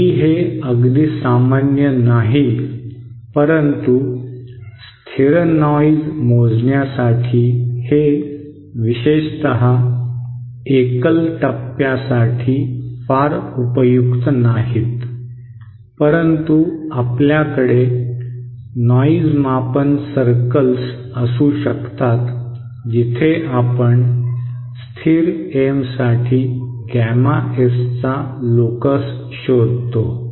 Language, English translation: Marathi, So though not very common but these for a constant noise measure not very useful especially for single stages, but we can have noise measure circles where we trace the locus of gamma S for a constant M